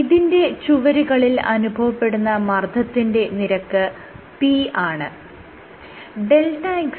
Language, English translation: Malayalam, So, on this wall you have a pressure force p